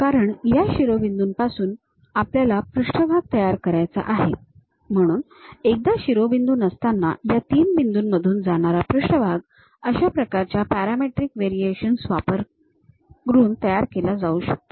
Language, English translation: Marathi, Because, we want to construct surface from these vertices; so, once vertices are not, a surface which pass through these three points can be constructed using such kind of parametric variation